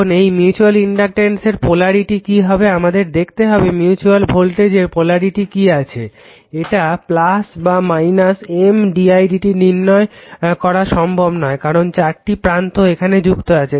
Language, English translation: Bengali, Now, the polarity of mutual voltage this is very this is the only thing we have to see the polarity of mutual voltage whether it is plus or minus M d i by d t is not easy to determine , because 4 terminals are involved right